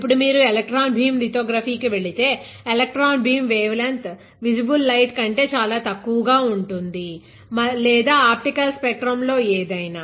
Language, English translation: Telugu, Now, if you go for electron beam lithography, electron beam wavelength is much smaller than visible light or anything in the optical spectrum ok